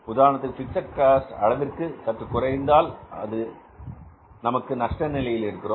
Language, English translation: Tamil, For example this contribution is less than the fixed cost, so we are in this state of loss